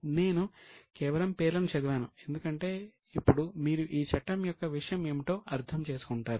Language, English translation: Telugu, read the names because now you will understand what is the content of the Act